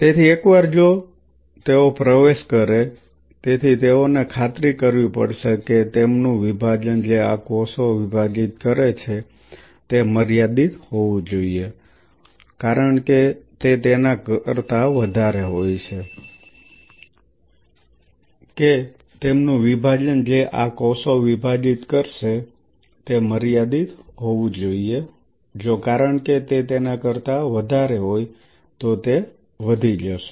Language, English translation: Gujarati, So, once they are getting in, so they will have a finite they have to it has to be ensured that their division because these cells will be dividing it should be finite if it is more than it then it is going to outnumber